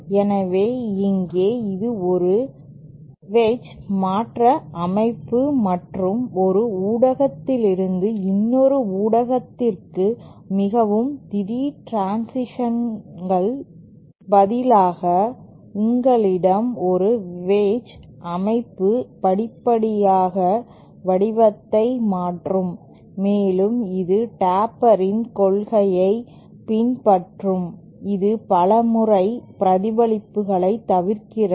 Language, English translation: Tamil, So, here, this is a wedge shift structure and instead of having a very abrupt transition from one media to another, you have a wedged structure which gradually changes shape and it follows the principle of the taper and thereby avoids multiple reflections